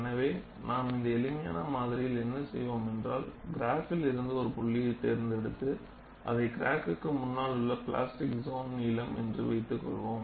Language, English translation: Tamil, So, what we will do in the simplistic model is, just pick out that point from this graph and say that is the length of plastic zone ahead of the crack